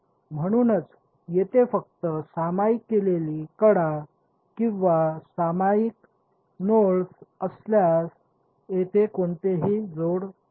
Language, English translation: Marathi, So, only if there are shared edges or shared nodes is there any coupling